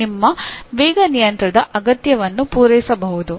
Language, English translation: Kannada, It may meet your speed control requirement